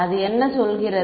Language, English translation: Tamil, What does it say